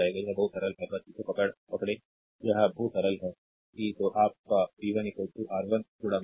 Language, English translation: Hindi, It it is very simple ah just hold on , it is very simple, that your v 1 is equal to R 1 into i, right